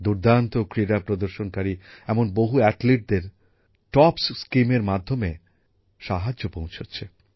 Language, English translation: Bengali, Many of the best performing Athletes are also getting a lot of help from the TOPS Scheme